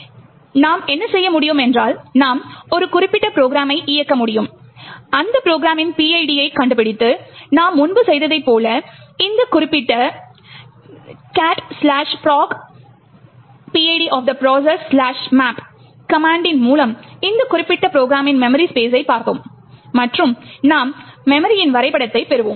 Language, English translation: Tamil, So, what you can do is you could run a particular program, find out that PID of that program and as we have done before looked at the memories space of that particular program by this particular command cat /proc the PID value of that particular process /maps and you would get the memory map